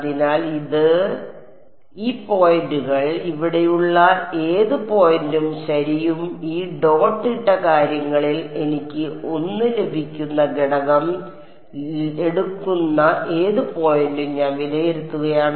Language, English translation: Malayalam, So, I am evaluating at this, this, this, this points and any point over here right and any point along this dotted things who are take the component I get 1